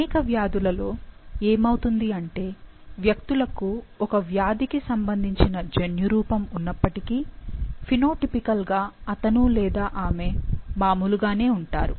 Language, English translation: Telugu, So, it so happens that in many diseases, even though the individuals have the genotype related to the disease, phenotypically he or she is normal